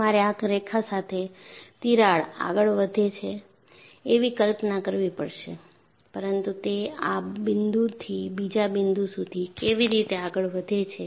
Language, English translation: Gujarati, So, you have to visualize the crack advances along this line, but how it advances from a point like this to another point